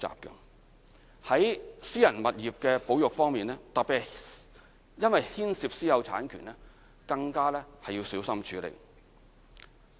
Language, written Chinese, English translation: Cantonese, 在私人物業的保育方面，特別因為牽涉私有產權，更加要小心處理。, The conservation of private property necessitates even more meticulous handling as private property rights are concerned